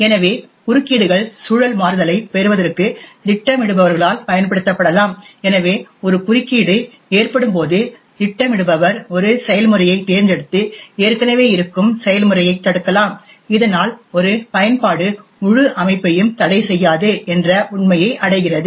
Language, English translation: Tamil, So, the interrupts can be used by schedulers to obtain context switching, so when at interrupt occurs the scheduler can pick a process and preventing the existing process, thus achieving the fact that one application is not hogging the entire system